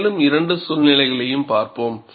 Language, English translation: Tamil, And, we will also see, two more situations